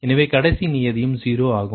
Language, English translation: Tamil, this will also be zero